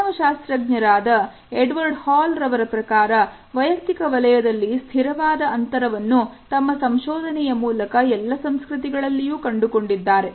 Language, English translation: Kannada, According to Edward Hall, whose an anthropologist he found some very consistent zones of personal space in his research across many different cultures